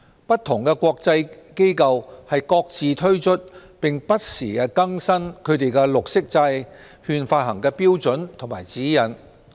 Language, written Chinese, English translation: Cantonese, 不同的國際機構各自推出，並不時更新它們的綠色債券發行標準和指引。, Various international organizations launch their own projects and revise their standards and guidelines on the issuance of green bonds from time to time